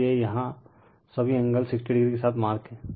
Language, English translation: Hindi, So, so all angle here it is 60 degree is marked